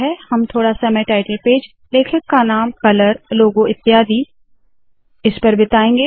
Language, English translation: Hindi, We will spend some time on title page, author name, color, logo etc